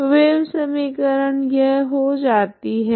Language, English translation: Hindi, What is the equation becomes